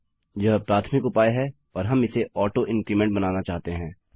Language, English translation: Hindi, This is the primary key and we want it to make auto increment